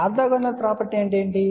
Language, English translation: Telugu, What is the orthogonal property